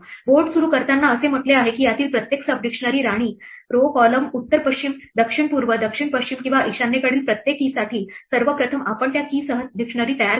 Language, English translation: Marathi, Initializing the board says that first of all for every key for each of these sub dictionaries queen row column north west south east south west or north east we first set up a dictionary with that key